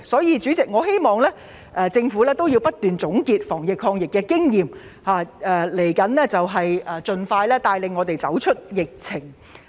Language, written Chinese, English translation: Cantonese, 因此，我希望政府能夠不斷總結防疫抗疫經驗，盡快帶領市民走出疫情。, In view of this I hope that the Government will continue to consolidate its anti - epidemic experience and lead the public out of the epidemic as soon as possible